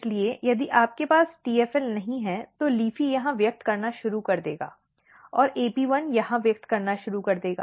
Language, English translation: Hindi, So, if you do not have TFL here the LEAFY will start expressing here AP1 start expressing here